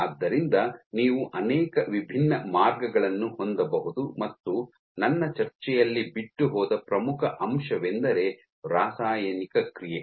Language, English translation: Kannada, So, you can have multiple different ways and also, I think the most important which I missed is chemical reaction